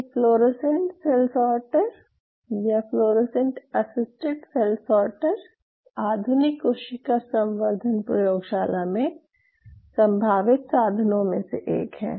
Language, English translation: Hindi, So, these fluorescent cell sorter fluorescent assets assisted cell sorter are one of the very potential tools in the modern cell culture labs